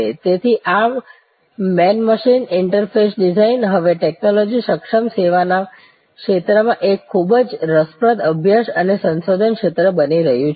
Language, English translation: Gujarati, So, this man machine interface design therefore, is now becoming a very interesting a study and research field in the domain of technology enabled service